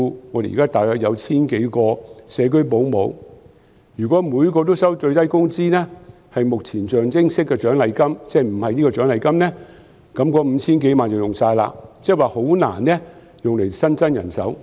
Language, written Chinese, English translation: Cantonese, 我們現時大約有 1,000 多個社區保姆，如果每人都收取最低工資，作為象徵式的獎勵金，否則，那 5,000 多萬元便會花光，即很難用以新增人手。, At present there are about 1 000 - odd home - based child carers . If each carer receives the minimum wage as a nominal kind of reward that sum of over 50 million will be used up and it will be very difficult to recruit new manpower